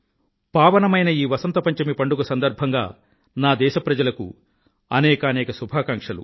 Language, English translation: Telugu, I extend my best wishes to my countrymen on the pious occasion of Vasant Panchami